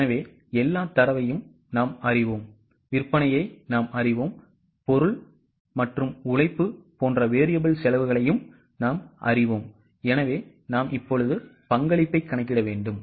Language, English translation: Tamil, Now, in the B part of the data, we know sales, we know the variable costs like material and labour, so remember the structure